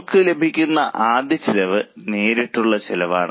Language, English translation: Malayalam, We get the first cost which is known as fixed costs